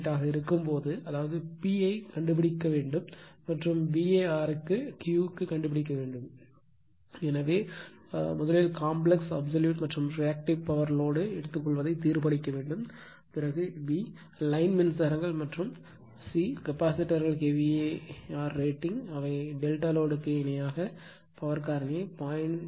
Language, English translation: Tamil, 8 ; that means, here you have to find out P and for the V A r you have to find out the Q right , and therefore, you have to determine , first one , the complex, real and reactive power absorbed by the load , and b) the line currents and c) the kVAr rate you have the your what you call three capacitors, which are , can delta connect in parallel with load right that, I will show you to raise the power factor to 0